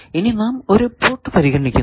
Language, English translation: Malayalam, Now, we are considering 1 port there are 2 ports